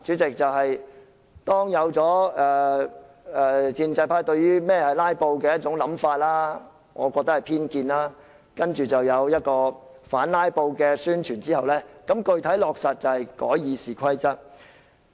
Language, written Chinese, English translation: Cantonese, 至於第三步，主席，建制派對甚麼是"拉布"出現一種我認為是偏見的想法後，接着他們便有反"拉布"的宣傳，然後具體落實的做法便是修改《議事規則》。, As for the third step President I think the pro - establishment camp is obsessed with this prejudice against filibusters in my opinion . For this reason they have come up with the anti - filibuster publicity and finally come to the specific step of amending RoP